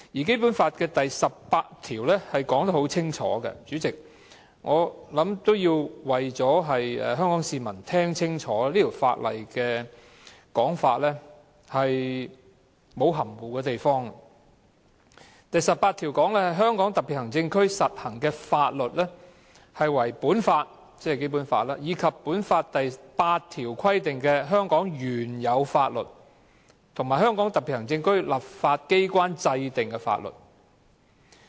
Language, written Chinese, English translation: Cantonese, 《基本法》第十八條亦清楚訂明——我希望香港市民聽清楚，這項條文沒有任何含糊之處——"在香港特別行政區實行的法律為本法以及本法第八條規定的香港原有法律和香港特別行政區立法機關制定的法律。, The stipulations in Article 18 of the Basic Law are also clear―I hope the people of Hong Kong will listen clearly and be aware that there is nothing ambiguous in this Article―The laws in force in the Hong Kong Special Administrative Region shall be this Law the laws previously in force in Hong Kong as provided for in Article 8 of this Law and the laws enacted by the legislature of the Region